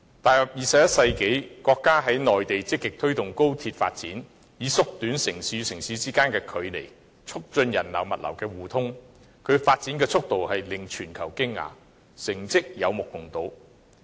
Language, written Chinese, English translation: Cantonese, 踏入21世紀，國家在內地積極推動高鐵發展，以縮短城市之間的距離，並促進人流、物流的互通，其發展速度令全球驚訝，成績有目共睹。, In the 21 century our country actively promotes the development of high - speed rail systems on the Mainland to shorten the distance between cities and promote the flow of people and cargoes . The speed of development surprised the world and its achievements are obvious to all